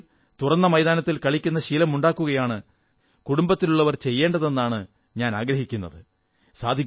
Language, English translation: Malayalam, I would like the family to consciously try to inculcate in children the habit of playing in open grounds